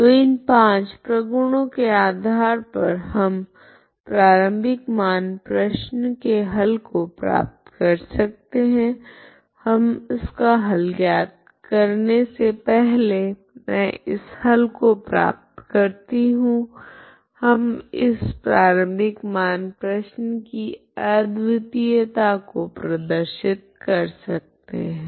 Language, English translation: Hindi, So based on these five properties we actually can get the solution of this initial value problem, okay is what we see before I find this solution we will just show the uniqueness of the initial value problem